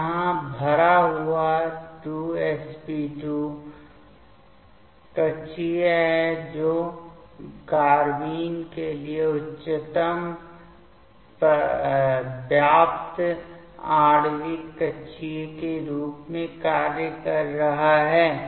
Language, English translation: Hindi, So, here this filled 2 filled sp2 orbital that is acting for the carbene as highest occupied molecular orbital